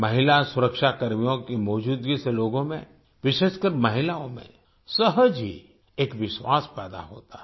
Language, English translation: Hindi, The presence of women security personnel naturally instills a sense of confidence among the people, especially women